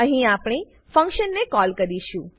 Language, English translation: Gujarati, Here, we call the function This is our code